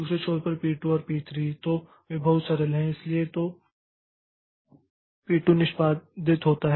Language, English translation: Hindi, On the other end, P2 and P3, so they are very simple